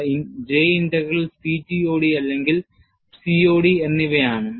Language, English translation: Malayalam, They are J Integral and CTOD or COD